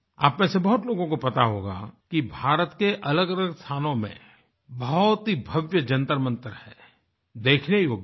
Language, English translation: Hindi, Many of you might be aware that at various places in India, there are magnificent observatories Jantar Mantars which are worth seeing